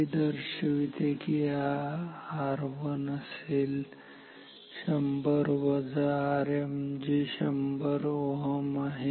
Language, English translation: Marathi, This will imply R 3 equals 1 kilo ohm minus R m which is 100 ohm